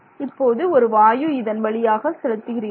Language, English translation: Tamil, And now gas has to pass through this